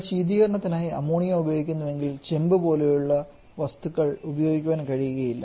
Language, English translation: Malayalam, So we cannot if we are using ammonia as a refrigerant we cannot use copper like material